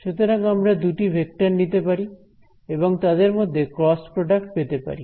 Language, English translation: Bengali, So, similarly I can take these two vectors and take a cross product